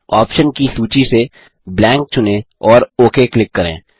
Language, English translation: Hindi, From the list of options, select Blank and click OK